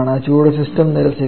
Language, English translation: Malayalam, It is being rejected by the system